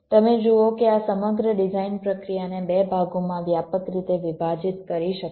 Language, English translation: Gujarati, you see, this whole design process can be divided broadly into two parts